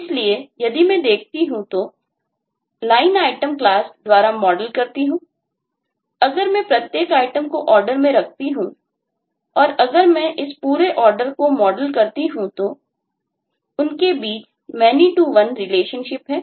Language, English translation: Hindi, so if i look, if i model by line item class, if i model each and every item that are placed in the order and by the order class, if i model this whole order, then the relationship between them is one to many